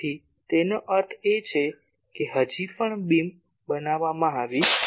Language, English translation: Gujarati, So that means that the still the beam has not been formed